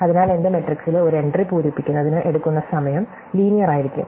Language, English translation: Malayalam, So, the amount of time it takes to fill one entry in my matrix could be linear